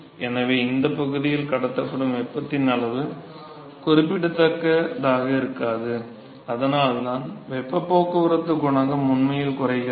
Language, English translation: Tamil, So, therefore, the amount of heat that is transported in this regime is not going to be that significant, and that is why the heat transport coefficient actually goes down